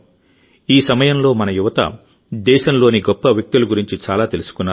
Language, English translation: Telugu, During this, our youth got to know a lot about the great personalities of the country